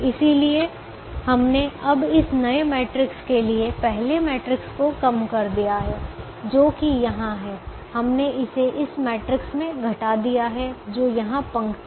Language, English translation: Hindi, so we have now reduced the first matrix to this new matrix which is here